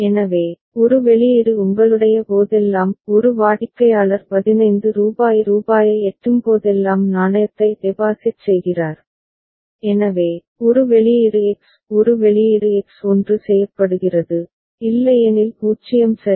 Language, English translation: Tamil, So, one output is whenever your one is customer is depositing the coin whenever rupees 15 is reached ok, so, one output X; one output X is made 1 which is otherwise 0 ok